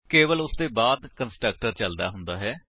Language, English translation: Punjabi, Only after that the constructor is executed